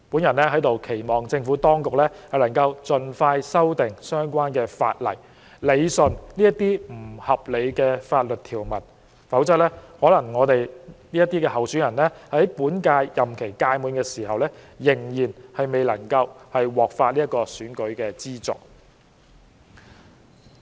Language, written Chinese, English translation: Cantonese, 我期望政府當局盡快修訂相關法例，理順這些不合理的法律條文，否則，在本屆立法會任期屆滿時，我們這些候選人可能也還未獲發選舉資助。, I hope the Government will expeditiously amend the relevant legislation to rationalize such unreasonable provisions . Otherwise we candidates may yet to receive the financial assistance by the end of the current term of the Legislative Council